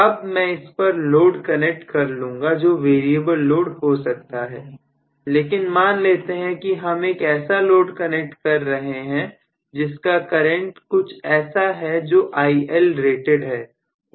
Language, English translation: Hindi, Now, I am going to connect the load this may be a variable load but let us say I am actually connecting it corresponding to a current that will be drawn which is ILrated